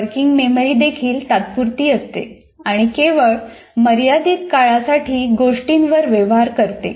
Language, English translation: Marathi, And even working memory is temporary and can deal with items only for a limited time